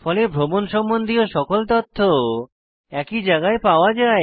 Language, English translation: Bengali, As a result all travel information can be maintained in one place